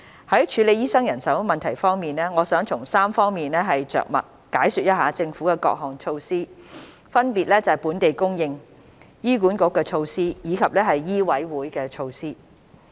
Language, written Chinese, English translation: Cantonese, 在處理醫生人手問題方面，我想從3方面着墨解說一下政府的各項措施，分別是"本地供應"、"醫管局措施"以及"醫委會措施"。, In addressing the manpower problem of doctors I would like to elaborate on various measures of the Government in three areas namely local supply HAs initiatives and MCHKs initiatives